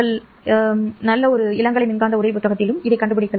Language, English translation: Tamil, You can find it in any good undergraduate electromagnetic textbooks